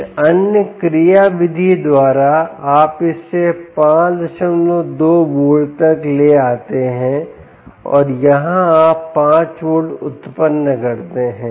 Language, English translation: Hindi, by some other mechanism you bring it down to five point, two volts and here you generate five volts